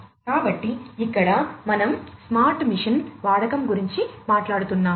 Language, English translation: Telugu, So, here we are talking about use of smart machines